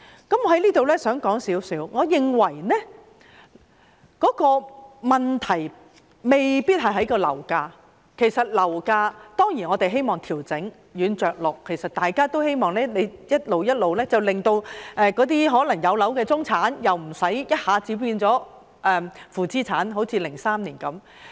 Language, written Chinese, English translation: Cantonese, 我想在此約略談談，我認為問題未必在於樓價，我們當然想調整樓價，想軟着陸，希望逐步做，不致令有樓的中產人士一下子變成負資產人士，好像2003年的情況般。, I would like to briefly discuss this issue here as I think the problem does not necessarily lie in property prices . We certainly want to adjust property prices and wish for a soft landing and a gradual adjustment so that the middle - class people who own properties will not become negative equity holders all of a sudden as in the case of 2003